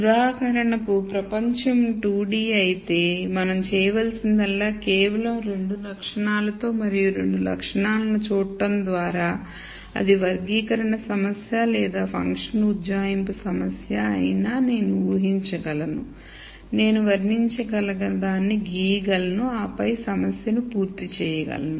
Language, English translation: Telugu, If world were 2 D for example, so all that we need to do could be done with just two attributes and looking at two attributes then whether it is a classification problem or a function approximation problem I can simply visualize it draw whatever I want characterize, and then be done with the problem